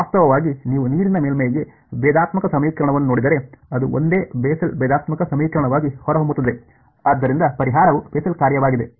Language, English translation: Kannada, Actually if you look at the differential equation for the water surface it turns out to be the same Bessel differential equation so the solution is Bessel function